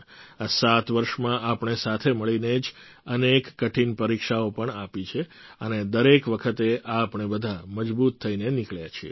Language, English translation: Gujarati, In these 7 years together, we have overcome many difficult tests as well, and each time we have all emerged stronger